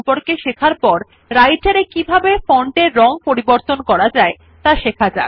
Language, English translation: Bengali, After learning about the font size, we will see how to change the font color in Writer